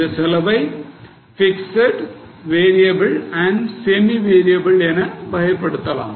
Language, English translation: Tamil, The cost will be classified into fixed variable and semi variable